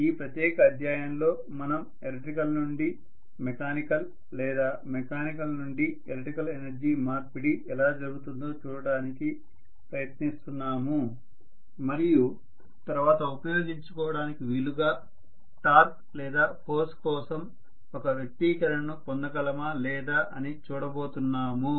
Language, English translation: Telugu, That is what we are going to in this particular chapter, we are essentially trying to look at how electrical to mechanical or mechanical to electrical energy conversion takes place and whether we can get an expression for the torque or force so that we would be able to utilize it later